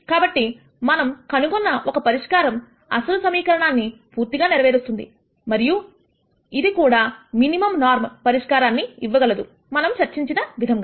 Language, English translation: Telugu, So, the solution that we found satisfies the original equation and this also turns out to be the minimum norm solution as we discussed